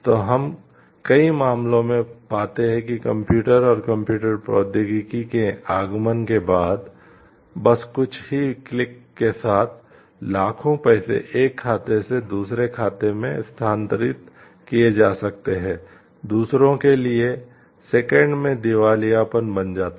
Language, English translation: Hindi, So, what we find like in many cases with the advent of computers and computer technology with just few clicks millions of money can be transferred from one account to the other creating bankruptcy in seconds for the other